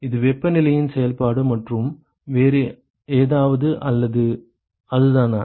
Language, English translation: Tamil, It is function of temperature and anything else or that is it